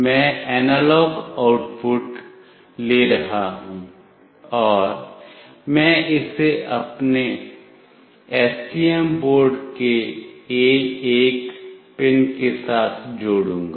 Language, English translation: Hindi, I will be taking the analog output and I will be connecting it to pin A1 of my STM board